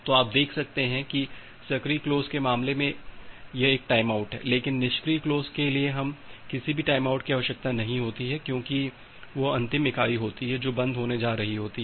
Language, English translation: Hindi, So, you can see that the timeout is here in case of the active close, but for passive close we do not require any timeout because, that is the last entity which is going to close